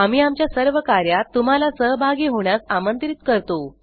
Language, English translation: Marathi, We invite your participation in all our activities